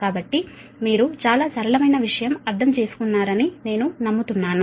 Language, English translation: Telugu, so i hope you have understood this right, very simple thing